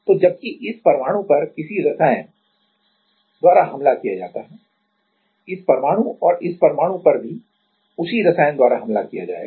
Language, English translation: Hindi, So, while this atom is attacked by some chemical this atom and this atom this will also will be attacked by the same chemical right